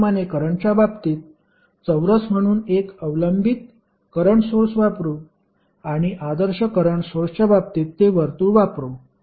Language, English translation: Marathi, Similarly, in case of current you will see square as a dependent current source and in case of ideal current source it will be circle